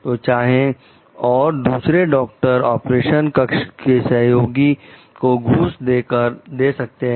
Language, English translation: Hindi, So, whether and another doctor can do like bribe the operation theatre attendant